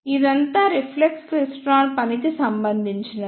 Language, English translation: Telugu, ah This is all about the working of reflex klystron